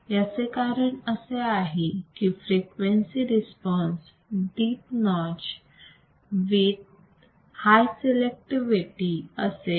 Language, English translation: Marathi, This is because the frequency response was a deep notch with high selectivity